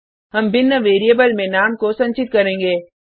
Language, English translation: Hindi, Well store the name in a different variable